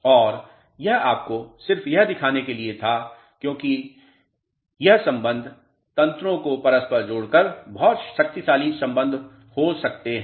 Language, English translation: Hindi, And, this was just to show you as this relationships can be very powerful relationships interlinking the mechanisms